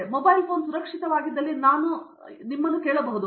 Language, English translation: Kannada, Today, if I ask you if this mobile phone secure